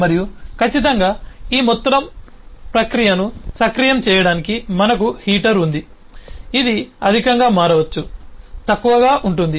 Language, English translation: Telugu, and certainly to actuate this whole process we have a heater which can be turned high, turned low and so on